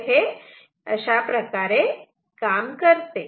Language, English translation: Marathi, So, this is how it works ok